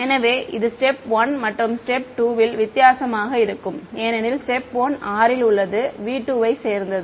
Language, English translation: Tamil, So, it will be different in step 1 and step 2 because in step 1 r is belonging to v 2